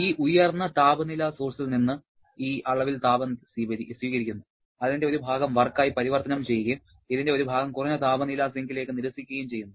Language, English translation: Malayalam, It is receiving this amount of heat from this high temperature source converting a part of that to work and then rejecting a part of this into the low temperature sink